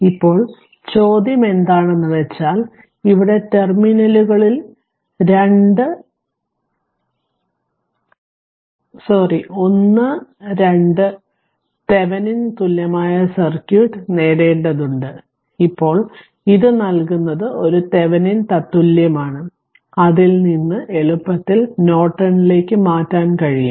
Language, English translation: Malayalam, So, now question is that here you have to obtain the Thevenin equivalent circuit in terminals 1 2 of the now it is a Thevenin equivalent is given from that you can easily transfer it to Norton